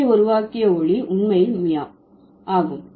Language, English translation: Tamil, So, the sound made by the cat is actually mew, right